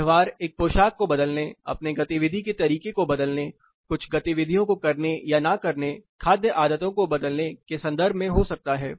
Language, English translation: Hindi, Behavioral can be in terms of changing a dress, changing your activity pattern, doing or not doing certain activities, changing food habits